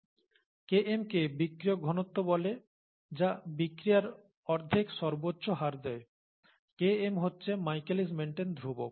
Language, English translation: Bengali, So Km is called the substrate concentration which gives half maximal rate of the reaction, right, and Km is the Michaelis Menton constant